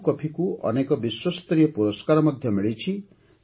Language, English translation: Odia, Araku coffee has received many global awards